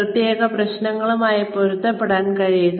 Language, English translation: Malayalam, Be adaptable to specific problems